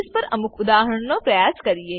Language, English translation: Gujarati, Now, lets try some examples